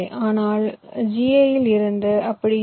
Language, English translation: Tamil, but in ga it is not like that